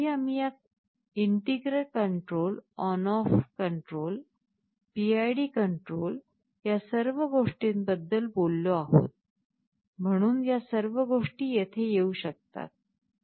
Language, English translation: Marathi, See earlier, we talked about this integral control on off control, PID control all these things, so all these things can come into the picture here